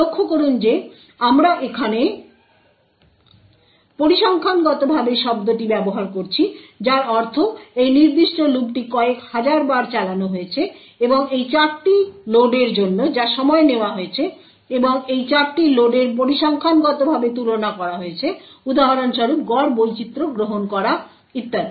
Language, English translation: Bengali, The second thing you would notice is that the time taken for these loads versus these loads is approximately the same note that we are using the word statistically over here which would means this particular loop is run several thousands of times and the time taken for these four loads and these four loads are compared statistically right for example taking the average variance and so on